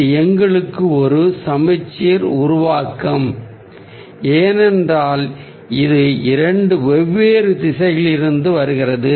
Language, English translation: Tamil, this is a symmetrical formation for us because it's coming from two different direction